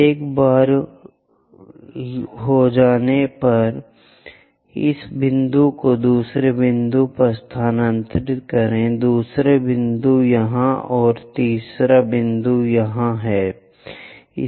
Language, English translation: Hindi, Once done transfer this point to all the way to second point, the second point here